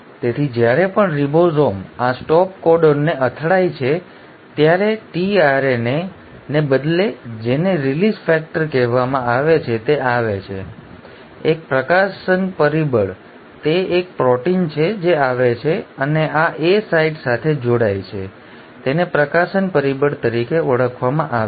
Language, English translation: Gujarati, So instead of a tRNA whenever the ribosome hits this stop codon, what is called as a “release factor” comes, a release factor, it is a protein which comes and binds to this A site, it is called as the release factor